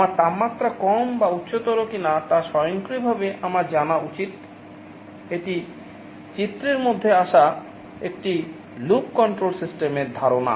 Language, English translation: Bengali, I should able to know automatically whether my temperature is lower or higher, that is the notion of a closed loop control system that comes into the picture